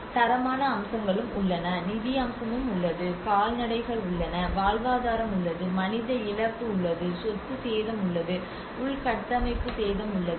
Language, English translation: Tamil, There is also the qualitative aspects, there is also the financial aspect, there is a livestock, there is livelihood, there is human loss, there is a property damage, there is a infrastructural damage